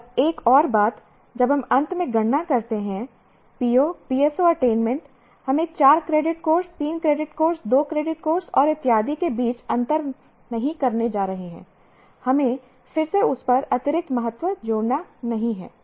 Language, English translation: Hindi, And another thing that we would like to point out, when we calculate finally the PO PS4 attainment, we are not going to differentiate between a four credit course, three credit course, two credit course and so on